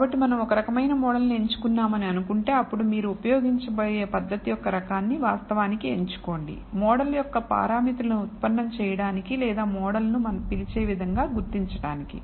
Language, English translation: Telugu, So, let us say we have chosen one type of model, then you have to actually choose the type of method that you are you going to use in order to derive the parameters of the model or identify the model as we call it